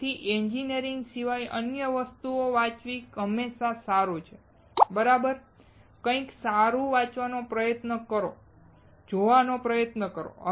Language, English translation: Gujarati, So, it is always good to read other things apart from engineering, right, try to read something right, try to watch